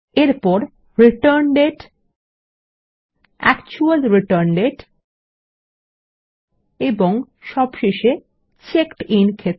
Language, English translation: Bengali, Next, the Return date,the actual return date And finally the checked in field